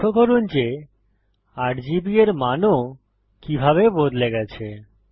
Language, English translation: Bengali, Notice how the values of RGB have changed as well